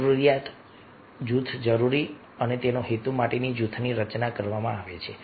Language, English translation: Gujarati, there is a need, a group is required and for that purpose the, the group is formed